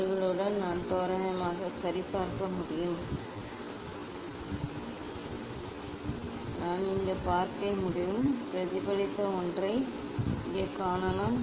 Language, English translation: Tamil, with their I we can just approximately see ok; I can see here; I can see here the reflected one